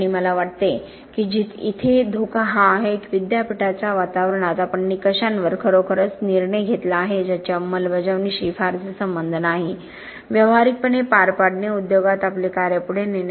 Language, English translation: Marathi, And I think the danger here is that in the university environment, we have judged really on criteria that have very little to do with implementation, with practical carrying out, carrying over our work into the industry